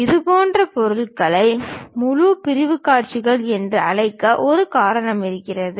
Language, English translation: Tamil, There is a reason we call such kind of objects as full sectional views